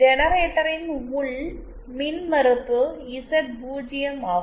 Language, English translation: Tamil, Generator internal impedance is Z0